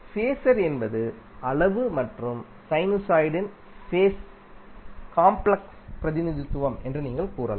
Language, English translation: Tamil, So, what you can say, phaser is a complex representation of your magnitude and phase of a sinusoid